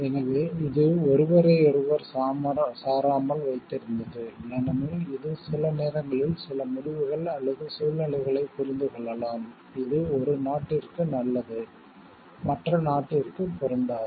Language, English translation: Tamil, So, this kept independent of each other, because this we can understand sometimes some decisions or situation also, which may hold good for one country may not be applicable for the other country